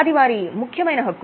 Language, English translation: Telugu, That's their main right